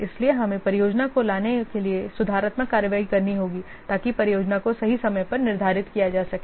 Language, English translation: Hindi, So, also we have to take remedial actions to bring the project to back the project to the right track to the schedule